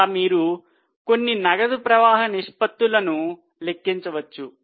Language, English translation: Telugu, Like that you can calculate a few cash flow ratios